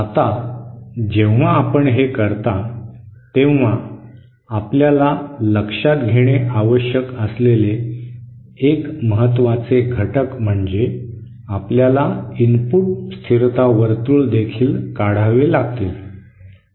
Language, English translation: Marathi, Now, one important factor that you have to take into account when you do this is that you have to draw the input stability circles as well